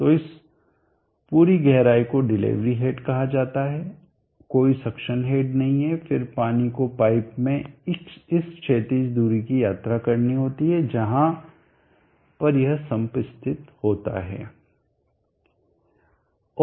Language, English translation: Hindi, So this entire depth is called the delivery head there is no suction head, then the water as to travel this horizontal distance in pipe depending on where this some is located